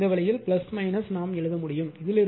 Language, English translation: Tamil, So, this way you can write